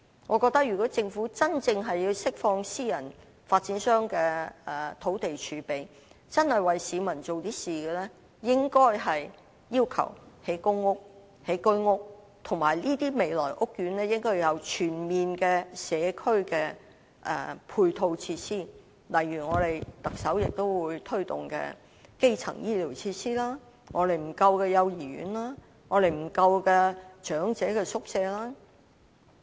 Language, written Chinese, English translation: Cantonese, 我覺得如果政府要真正釋放私人發展商的土地儲備，真的想為市民做點事情，應該要求興建公屋、居屋，而且這些未來的屋苑應要有全面的社區配套設施，例如特首將推動的基層醫療設施、一向不足夠的幼兒園和長者宿舍等。, I think if the Government really wishes to release the land reserve of private property developers and to do something for the people it should require that PRH units and HOS units be developed on these sites . Besides comprehensive community support facilities should also be provided in these housing estates in future such as primary health care facilities that the Chief Executive is going to promote nurseries and hostels for the elderly that have always been lacking and so on